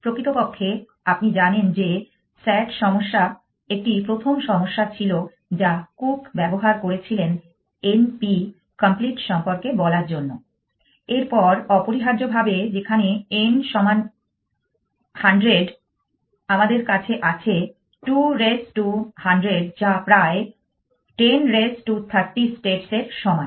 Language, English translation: Bengali, In fact, you know that sat problem was a first problem which was a first problem which was used by cook to talk about n p complete next essentially where n is equal to 100 we have 2 raise to 100 which is about 10 raised to 30 states